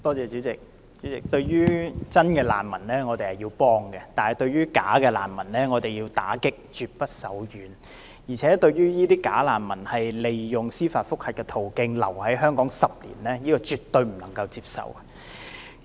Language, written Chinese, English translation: Cantonese, 主席，對於真正的難民，我們是要幫助的，但對於假難民，我們要打擊，絕不手軟，而且對於這些假難民利用司法覆核這途徑，逗留香港10年，這是絕對不能接受的。, President in respect of genuine refugees we have to help them but in respect of bogus ones we have to clamp down on them relentlessly . Moreover the fact that these bogus refugees exploited the channel of judicial review to stay here for a decade is totally unacceptable